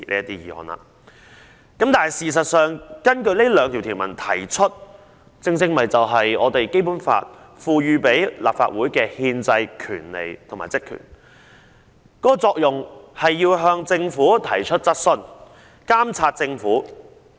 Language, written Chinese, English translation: Cantonese, 但是，事實上，根據上述兩項條文動議的議案，正正是《基本法》賦予立法會的憲制權利和職權，藉以向政府提出質詢和監察政府。, However in fact moving a motion under the two articles stated above is precisely the constitutional right and duty conferred on the Legislative Council by the Basic Law the purpose of which is to raise questions to and monitor the Government